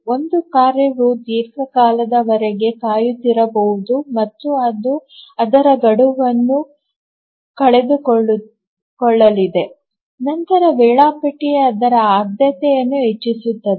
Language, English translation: Kannada, So, one task may be waiting for long time and it's about to miss its deadline, then the scheduler will increase its priority so that it will be able to meet its deadline